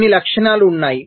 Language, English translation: Telugu, there are some properties